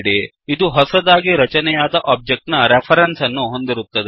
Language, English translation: Kannada, It only holds the reference of the new object created